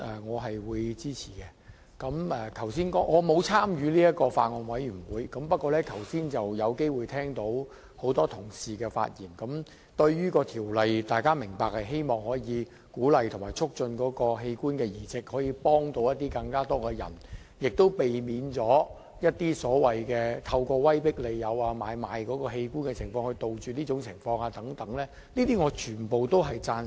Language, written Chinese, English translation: Cantonese, 我並沒有參與該法案委員會，剛才聽到多位同事發言，大家均明白並希望可藉着本《條例草案》鼓勵及促進器官移植，幫助更多人，亦可避免或杜絕有人透過威迫利誘來買賣器官的情況，我全都贊成。, I did not join the Bills Committee . Just now I have heard the speeches delivered by Members . Everyone understands and hopes that the passage of this Bill will encourage more organ transplant help more people and will prevent the organ trading through coercion and inducement